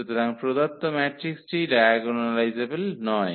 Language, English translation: Bengali, So, the given matrix is not diagonalizable